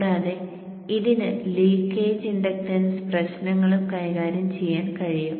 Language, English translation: Malayalam, It is lossless and it can also handle leakage inductance issues